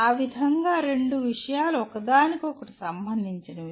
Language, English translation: Telugu, That is how two topics are related to each other